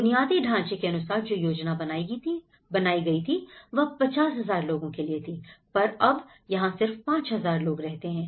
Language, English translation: Hindi, And in terms of the new dwellings, they actually aimed for about 50,000 people but today, unfortunately, only 5000 people lived there